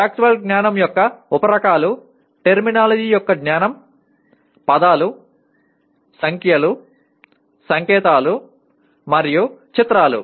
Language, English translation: Telugu, Now subtypes of factual knowledge include knowledge of terminology; words, numerals, signs, and pictures